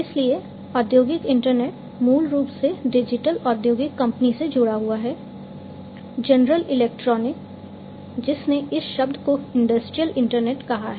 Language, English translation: Hindi, So, industrial internet the origin is basically linked to the digital industrial company General Electric, who coined this term industrial internet